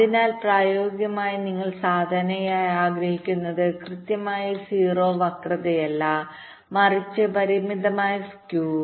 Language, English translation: Malayalam, so in practice, what you typically may want to have, not exactly zero skew but bounded skew